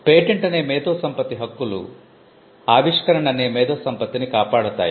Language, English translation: Telugu, The intellectual property rights that is patents, they protect the intellectual property that is invention